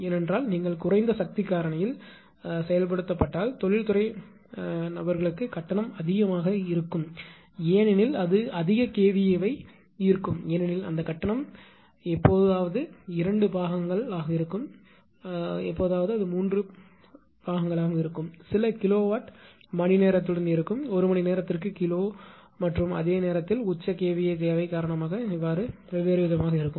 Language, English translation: Tamil, Because that if you operate at less power factor then tariff charge will be higher for industrial people because it will drop more kVA because that tariff is sometime two parts; sometime three parts tariff right; with some kilowatt hour; kilo per hour and at the same time because of the peak kVA demand